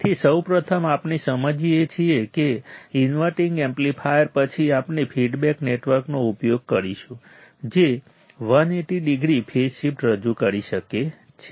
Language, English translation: Gujarati, So, first thing we understood that inverting amplifier then what we are to use a feedback network which can introduce 180 degree phase shift